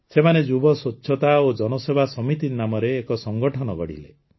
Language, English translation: Odia, He formed an organization called Yuva Swachhta Evam Janseva Samiti